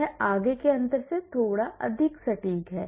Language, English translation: Hindi, This is slightly more accurate than the forward difference